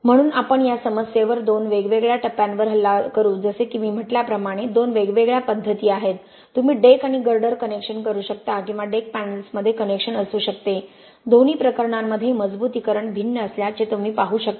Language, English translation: Marathi, So we will attack this problem in two different stages like I said two different ways of doing you can deck and girder connection or you can have connection between deck panels you can see the reinforcement in both cases being different